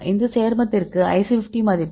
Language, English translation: Tamil, So, for this compound the IC 50 value is 12